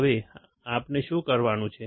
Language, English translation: Gujarati, Now, what do we have to do